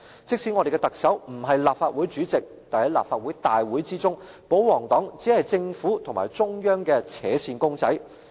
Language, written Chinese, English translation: Cantonese, 即使我們的特首不是立法會主席，但在立法會會議中，保皇黨只是政府與中央的扯線公仔。, While the Chief Executive does not take up the Presidency of the Legislative Council the pro - Government camp is actually the marionette of the Government and the Central Authorities